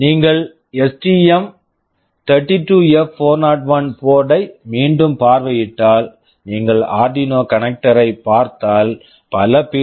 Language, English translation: Tamil, If you revisit the STM32F401 board, if you look at the Arduino connector you will see there are several PWM pins mentioned